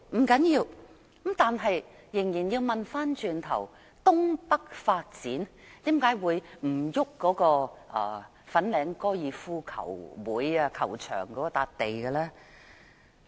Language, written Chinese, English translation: Cantonese, 不要緊，但我們仍要問，東北發展為何可以不徵用粉嶺高爾夫球會球場的土地？, That is no big deal but the question is why not resume the site of the Fanling Golf Course for developing the North East New Territories?